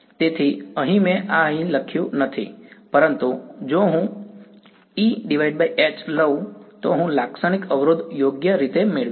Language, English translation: Gujarati, So, here I did not write this over here, but if I take mod E by mod H, I will get the characteristic impedance right